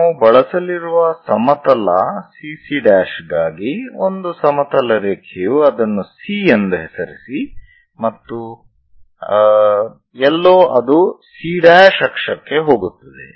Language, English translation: Kannada, Let us use CC prime for this a horizontal CC prime we are going to use, a horizontal line name it as C somewhere it goes C prime axis